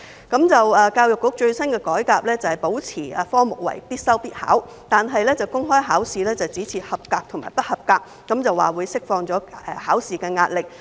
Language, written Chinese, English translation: Cantonese, 教育局最新的改革是，保持該科目為必修必考，但公開考試只設及格和不及格，表示這樣會釋放考試壓力。, EDBs latest reform is to keep the subject compulsory for public assessment but only mark the public exam result as a pass or a fail so as to allegedly release examination pressure